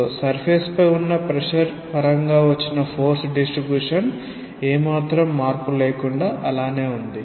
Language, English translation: Telugu, So, the distribution of force in terms of pressure on the surface remains unaltered